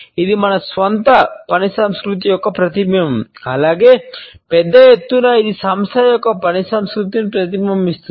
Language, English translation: Telugu, It is also a reflection of our own work culture as well as at a larger scale it becomes a reflection of the work culture of an organization